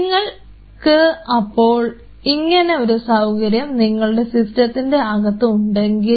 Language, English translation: Malayalam, So, if you have to a facility like that within your system